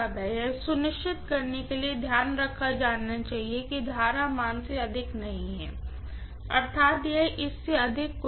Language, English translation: Hindi, The care has to be taken to make sure that you do not exceed rated current value, that is it, nothing more than that